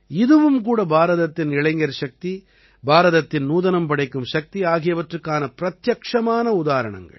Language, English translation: Tamil, This too, is a direct example of India's youth power; India's innovative power